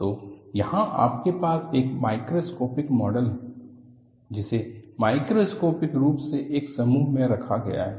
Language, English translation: Hindi, So, here you have a microscopic model, is bundled with a macroscopic appearance